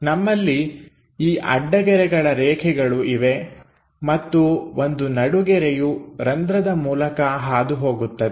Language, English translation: Kannada, So, we have these dashed lines and an axis line pass through that hole